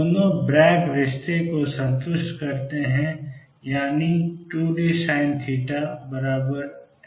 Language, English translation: Hindi, Both satisfy the Bragg relationship, that is has 2 d sin theta equals n lambda